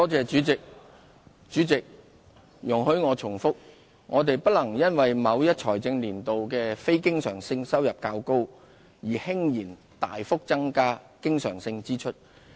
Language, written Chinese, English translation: Cantonese, 主席，請容許我重複，我們不能因為某一財政年度的非經常性收入較高而輕言大幅增加經常性支出。, President allow me to repeat . Windfall revenue of a capital nature is no justification for substantial increases in recurrent expenditure